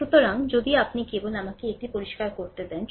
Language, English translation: Bengali, So, just if you just let me clean it